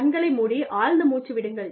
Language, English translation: Tamil, Close your eyes, and take a deep breath